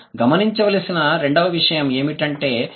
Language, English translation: Telugu, Second, what is the second thing to notice